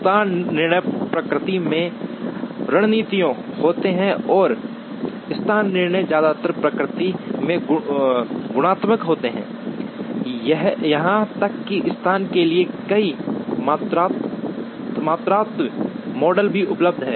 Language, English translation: Hindi, Location decisions are strategic in nature and location decisions mostly are qualitative in nature, even through several quantitative models are available for location